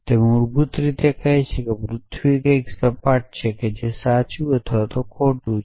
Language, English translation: Gujarati, It is basically saying that the earth is flat essentially something which is true or false essentially